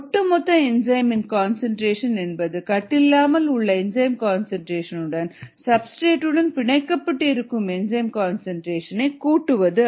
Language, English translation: Tamil, the concentration of the total enzyme equals the concentration of the free enzyme plus the concentration of the bound enzyme or bound as enzyme substrate complex